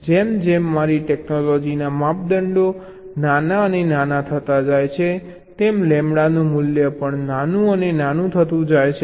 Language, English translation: Gujarati, as my technology scales down, devices becomes smaller and smaller, the value of lambda is also getting smaller and smaller